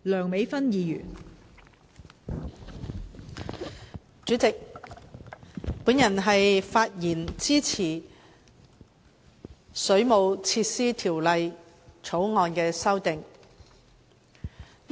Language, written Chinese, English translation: Cantonese, 代理主席，我發言支持《2017年水務設施條例草案》。, Deputy President I speak in support of the Waterworks Amendment Bill 2017 the Bill